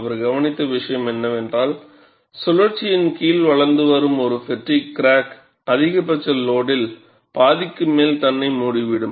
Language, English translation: Tamil, And what he observed was, a fatigue crack growing under cyclic tension can close on itself at about half the maximum load